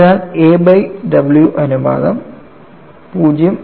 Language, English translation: Malayalam, So, the a by w ratio would be something around 0